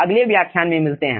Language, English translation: Hindi, see you in the next